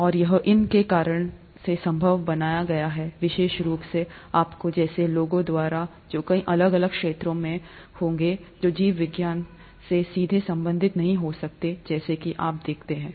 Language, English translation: Hindi, And it is because of these, to make these possible, especially, by people like you who would be in several different fields that may not be directly related to biology as you see it